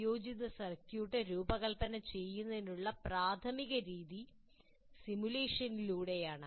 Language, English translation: Malayalam, So the main method of designing an integrated circuit is through simulation